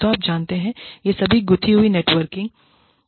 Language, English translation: Hindi, So, all of these are, you know, they are interwoven networking